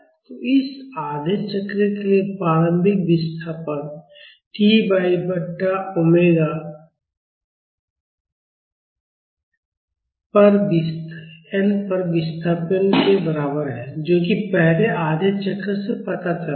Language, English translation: Hindi, So, the initial displacement for this half cycle is equal to the displacement at t is equal to pi by omega n, which we found out from the first half cycle